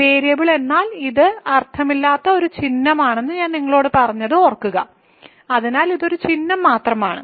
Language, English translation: Malayalam, So, remember I told you that variable means it is a just a symbol it has no meaning; so it is just a symbol